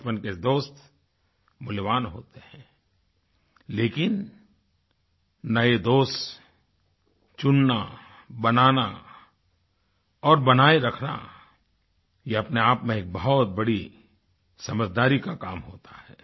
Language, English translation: Hindi, Childhood friends are precious, but selecting, making & maintaining new friendships is a task that requires immense prudence